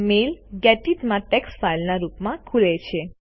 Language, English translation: Gujarati, The mail opens in Gedit as a text file